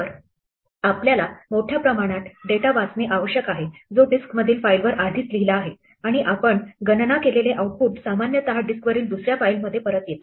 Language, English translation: Marathi, So, we have to read a large volume of data which is already written on a file in the disk and the output we compute is typically return back into another file on the disk